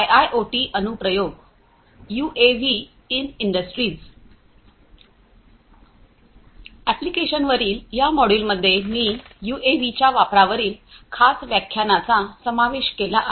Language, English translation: Marathi, In this module on Applications, I have included a special lecture on the use of UAVs